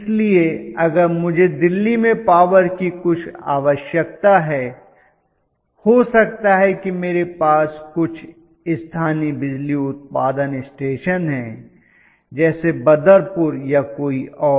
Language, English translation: Hindi, So, if I am having some power requirement for exampling in Delhi, I may be I have local power generating stations Badarpur and so on so forth